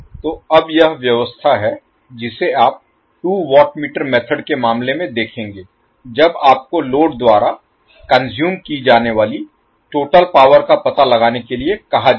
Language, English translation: Hindi, So now this is the arrangement which you will see in case of two watt meter method when you are asked to find out the total power consumed by the load